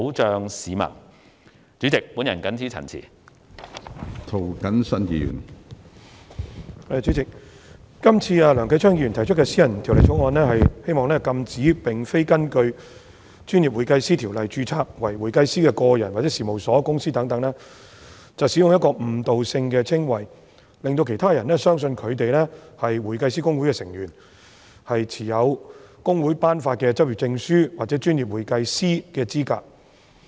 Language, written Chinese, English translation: Cantonese, 主席，梁繼昌議員提出的私人條例草案《2018年專業會計師條例草案》旨在禁止並非根據《專業會計師條例》註冊為會計師的個人、事務所或公司等使用具誤導性的稱謂，令到其他人相信他們是香港會計師公會成員，持有公會頒發的執業證書或專業會計師的資格。, President the private bill of the Professional Accountants Amendment Bill 2018 the Bill moved by Mr Kenneth LEUNG seeks to prohibit any individual firm or company not being registered under the Professional Accountants Ordinance from using misleading descriptions to mislead anyone into believing that they are members of Hong Kong Institute of Certified Public Accountants HKICPA holders of practising certificates issued by HKICPA or professional accountants